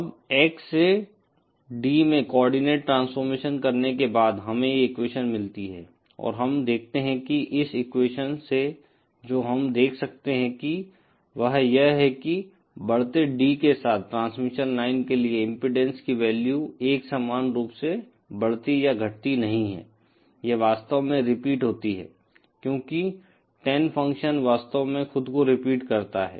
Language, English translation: Hindi, Now after doing the coordinate transformation from X to D, we get this equation and we see that from this equation what we can see is that the value of impedance for the transmission line does not keep increasing or decreasing monotonically with increasing D, it actually repeats because the Tan function actually repeats itself